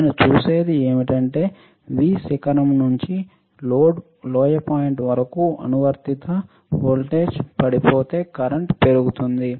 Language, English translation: Telugu, What I see is that from V peak to valley point the applied voltage drops while the current increases